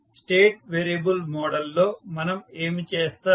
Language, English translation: Telugu, So, what we do in state variable model